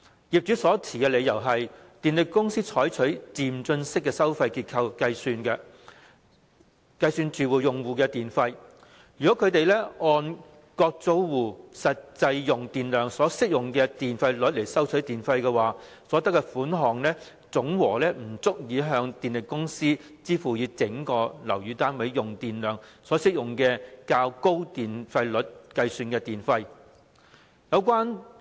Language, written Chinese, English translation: Cantonese, 業主所持理由是電力公司採取漸進式收費結構計算住宅用戶的電費；如果他們按各租戶實際用電量所適用的電費率收取電費，所得款項總和不足以向電力公司支付以整個樓宇單位用電量所適用的較高電費率計算的電費。, The reason given by the landlords is that the power companies have adopted progressive tariff structures for calculating the electricity charges payable by residential users; if they charge the tenants for use of electricity on the basis of the tariff rates applicable to their actual electricity consumption the total amount collected will be insufficient to meet the electricity charge payable to the power companies which is based on the higher tariff rates applicable to the electricity consumption of the whole flat